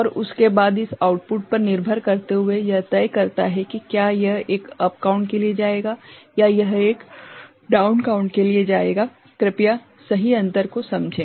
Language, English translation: Hindi, And after that depending on this output so, it decides whether it will go for a up count or it will go for a down count, please understand the difference right